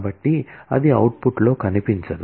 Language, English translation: Telugu, So, that will not feature in the output